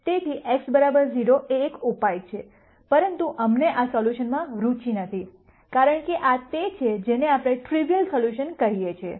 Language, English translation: Gujarati, So, x equal to 0 is a solution, but we are not interested in this solution, because this is what we call as a trivial solution